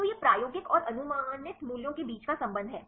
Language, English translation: Hindi, So, this is the relationship between experimental and the predicted values